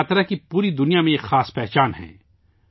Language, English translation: Urdu, Rath Yatra bears a unique identity through out the world